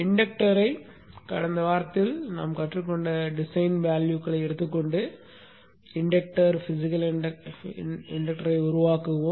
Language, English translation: Tamil, Even the inductor, we will take the design values that we learned in the last week and build the physical inductor